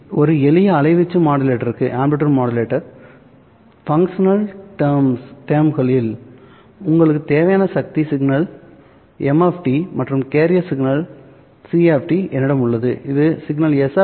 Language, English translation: Tamil, Recall that for a simple amplitude modulator, all you require in the functional terms is that I have the message signal M of T and I have the carrier signal C of T which would produce a signal S of T which is some M of T into C of T